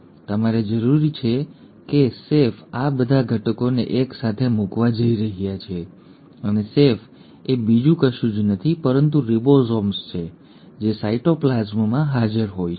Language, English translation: Gujarati, You need the chef is going to put in all these ingredients together and the chef is nothing but the ribosomes which are present in the cytoplasm